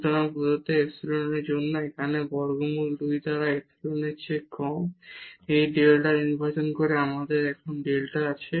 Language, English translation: Bengali, So, by choosing this delta here less than epsilon by square root 2 for given epsilon we have this delta now